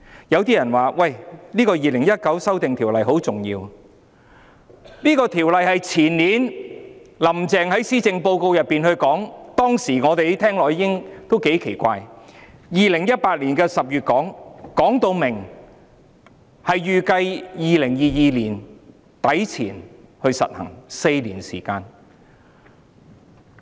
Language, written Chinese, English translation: Cantonese, 有些人說《2019年僱傭條例草案》很重要，這項《條例草案》是前年"林鄭"在施政報告內提出的，當時我們聽到也感到奇怪，她在2018年10月提出，說明預計在2022年年底前實行，相隔4年時間。, Some people said the Employment Amendment Bill 2019 the Bill is very important . The proposal underlying the Bill was presented in the Policy Address by Carrie LAM the year before last . Back then having learnt about it we found it rather strange that she had announced such a proposal in October 2018 but stated that it would be implemented by the end of 2022 with a window of four years